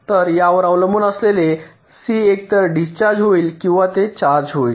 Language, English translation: Marathi, so, depending on that, this c will be either discharging or it will be charging